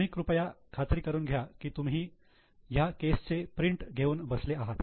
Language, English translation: Marathi, So, please ensure that you are sitting with the printout of the given case